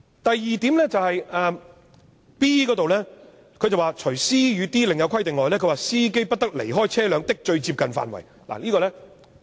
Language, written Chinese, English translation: Cantonese, 第二，第 b 段訂明"除 c 及 d 段另有規定外，司機不得離開車輛的最接近範圍"。, Second paragraph b stipulates that Subject to paragraphs c and d the driver must not leave the immediate vicinity of the vehicle